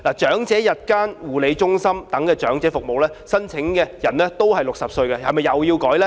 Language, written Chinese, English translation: Cantonese, 長者日間護理中心等長者服務，申請年齡也是60歲，這又是否要修改呢？, The eligibility age for elderly care services such as day care centres for the elderly is also 60